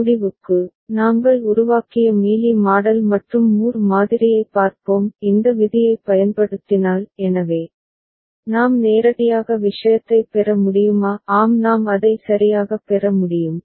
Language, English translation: Tamil, And to end, we shall just look at the Mealy model and Moore model that we had developed if we apply this rule; so, whether we can get directly the thing; yes we can get it right